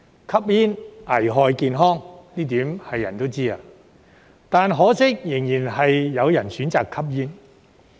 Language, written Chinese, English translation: Cantonese, 吸煙危害健康，這一點人人都知，但可惜仍然有人選擇吸煙。, Everyone knows that smoking is hazardous to health but regrettably there are still people who choose to smoke